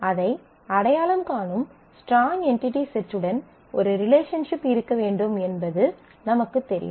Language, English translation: Tamil, You know that there has to be a relationship to the strong entity set which identifies it